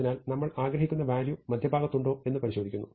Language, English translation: Malayalam, So, now, we examine if the value that we want is there at the midpoint